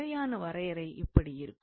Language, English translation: Tamil, So, the formal definition goes like this